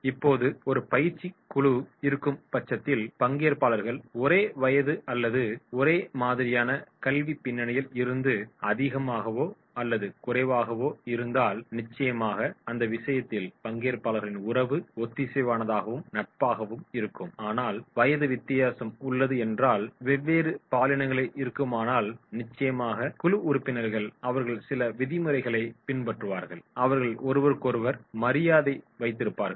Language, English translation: Tamil, Now, you see that is if a training group is there and the participants are more or less from the same age or same academic background then definitely in that case there will be the relationship of the participants that will be cohesive, more friendly, but if there is age difference, different genders then definitely the group members they will follow certain norms and they will keep the respect for each other